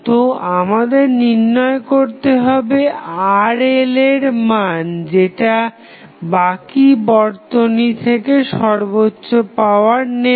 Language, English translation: Bengali, So, we have to find out the value of Rl which will draw the maximum power from rest of the circuit